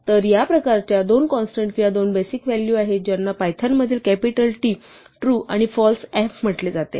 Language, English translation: Marathi, So, there are two constants or two basic values of this type which in python are called true with the capital “T” and false with the capital “F”